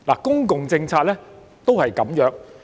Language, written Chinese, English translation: Cantonese, 公共政策也如是。, The same is true for public policies